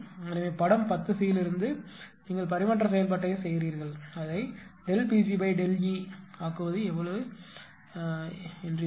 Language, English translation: Tamil, So, from figure ten c right from figure ten c you make that transfer function, just make it the delta P g upon delta P will be how much right